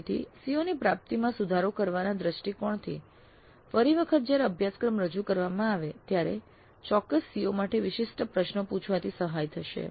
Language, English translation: Gujarati, So from the perspective of improving the attainment of COs next time the course is offered it would be helpful to ask questions specific to particular COs